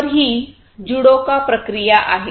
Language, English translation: Marathi, So, this is this JIDOKA process